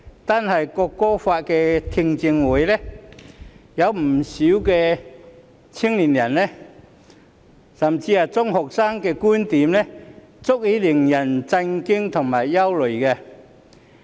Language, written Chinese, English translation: Cantonese, 單是在《條例草案》的聽證會上，有不少青年人甚至是中學生的觀點足以令人感到震驚和憂慮。, In the public hearings of the Bill alone many young people or even secondary students held viewpoints that caused alarm and concerns